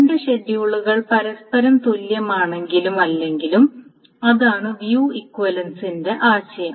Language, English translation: Malayalam, So, two schedules, whether they are view equivalent to each other or not, that is the notion of view equivalence